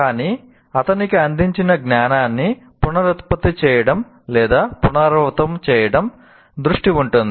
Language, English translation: Telugu, But he is essentially the focus is on reproducing the or repeating the knowledge that is presented to him